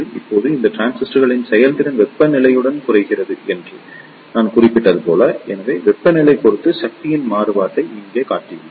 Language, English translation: Tamil, Now, as I mentioned that the performance of these transistors degrade with temperature; so, here I have shown the variation of the power with respect to temperature